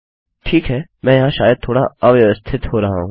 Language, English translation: Hindi, Ok, well, maybe Im being a little disorganised here